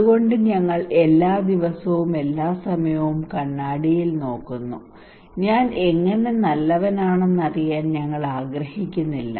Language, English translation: Malayalam, So we look into the mirror every time every day it is not that we want to know that how I am looking good